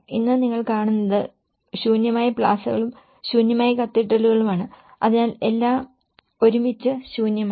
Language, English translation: Malayalam, Today, what you see is an empty plazas and empty cathedrals, so all together an empty one